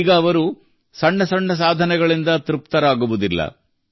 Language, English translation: Kannada, Now they are not going to be satisfied with small achievements